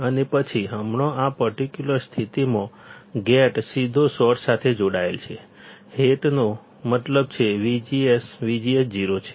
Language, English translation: Gujarati, And then, right now in this particular condition, the gate is directly connected to source; that means, that V G S, V G S is 0